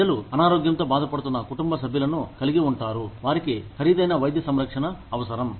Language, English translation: Telugu, People could have family members, who are sick, who need expensive medical care